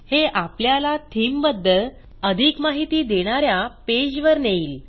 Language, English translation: Marathi, This takes you to a page which gives additional details about the the theme